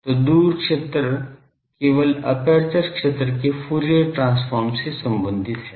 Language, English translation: Hindi, So, the far field is simply related to the Fourier transform of the aperture field